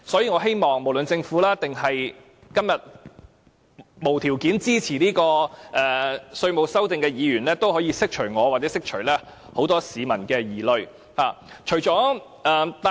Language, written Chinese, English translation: Cantonese, 我希望政府或在今天無條件支持這項《條例草案》的議員，可以釋除我或很多市民的疑慮。, I hope that the Government or those Members who support this Bill unconditionally today can allay the worries that many people and I have